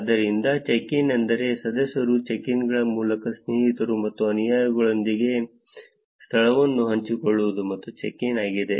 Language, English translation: Kannada, So, check in is, the, where members can share the location with friends and followers through check ins, that is the check in